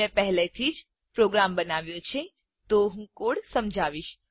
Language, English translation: Gujarati, I have already made the program, so Ill explain the code